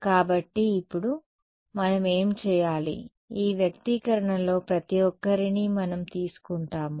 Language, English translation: Telugu, So, now, what do we do we will take these guys each of this expression